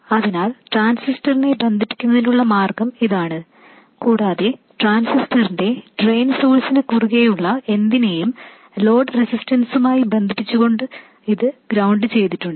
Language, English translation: Malayalam, So this is a way of connecting the transistor, by the way this is grounded, connecting what is across the drain source of the transistor to the load resistor